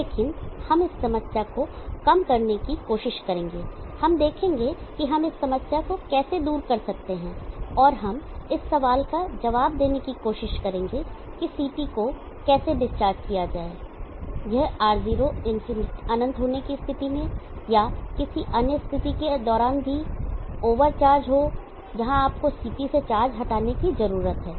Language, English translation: Hindi, But we will try to elevate this problem we will see how we can remove this problem and we will try to answer the question how to discharge the CT, if it is over charge under the condition of r0 infinity or even during any other conditions where you need to remove charge from the CT